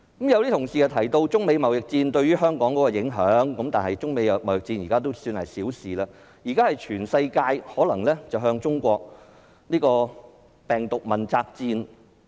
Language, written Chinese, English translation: Cantonese, 有同事提到中美貿易戰對香港的影響，但相比之下，這已經算是小事，現時全球可能也會向中國進行病毒問責戰。, In contrast the impact of the Sino - United States trade war on Hong Kong mentioned by some colleagues has become insignificant . At present countries around the world may declare a war of accountability against China over the virus